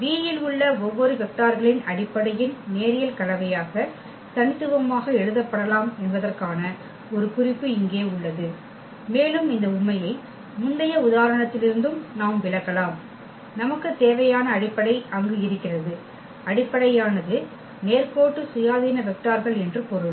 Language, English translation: Tamil, Just a note here that every vector in V can be written uniquely as a linear combination of the basis of vectors and this fact also we can explain from the previous example itself, that when we have the base is there; the basis means you are linearly independent vectors